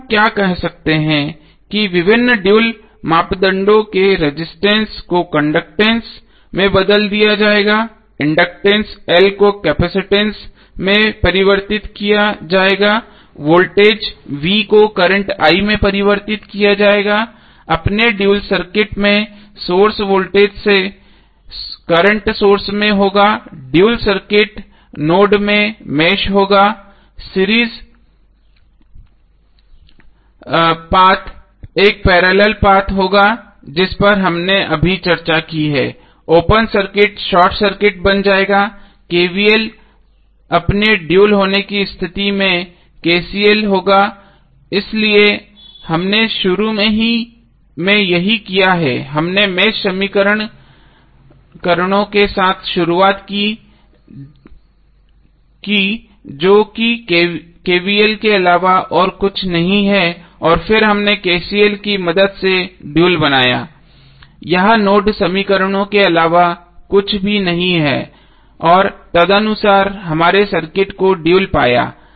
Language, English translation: Hindi, So what we can say what are the various dual parameters resistance are would be converted into conductance, inductance L would be converted into capacitance, voltage V would be converted into current I, voltage source would be current source in source of its dual circuit, node would be the mesh in the dual circuit, series path would be parallel path which we have just discussed, open circuit would become short circuit, KVL would be KCL in case of its dual so this is what we started initially with we started with mesh equations those are nothing but KVL and then we created dual with the help of KCL that this are nothing but the node equations and the accordingly we found the dual of the circuit